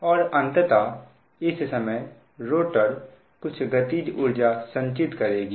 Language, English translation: Hindi, and finally, and at this time that rotor, it will store kinetic energy, right